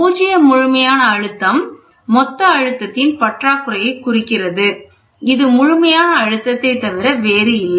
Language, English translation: Tamil, Zero absolute represents the total lack of pressure, that is nothing but the absolute pressure